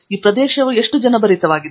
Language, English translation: Kannada, How crowded this area is